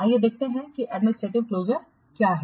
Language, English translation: Hindi, Let's see what is administrative closure